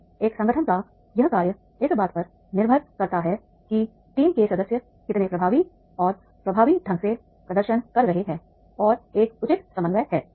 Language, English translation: Hindi, And this working of an organization that depends on that is the how efficiently and effectively the team members are performing and there is a proper coordination